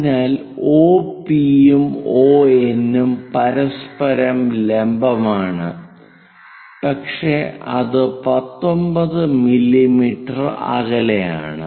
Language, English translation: Malayalam, So, OP and ON are perpendicular with each other, but that is at 19 mm distance